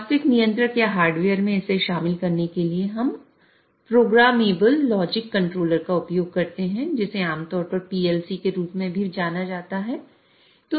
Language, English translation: Hindi, And in order to incorporate this in a real controller or a hardware, we use programmable logic controllers also commonly known as PLCs